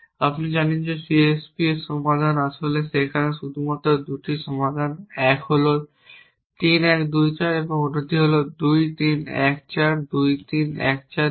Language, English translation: Bengali, You know that solution to the CSP there in fact only 2 solution 1 is 3 1 2 4 and the other is 2 3 1 4 2 3 1 4 2